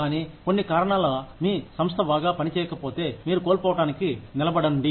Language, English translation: Telugu, But, if for some reason, your organization is not doing well, then you stand to lose